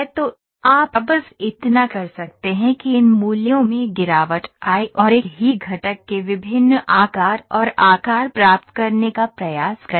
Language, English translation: Hindi, So, all you can do is just drop in these values and try to get different different shapes and size of this same component